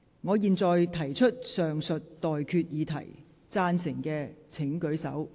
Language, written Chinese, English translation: Cantonese, 我現在提出上述待決議題，贊成的請舉手。, I now put the question to you as stated . Will those in favour please raise their hands?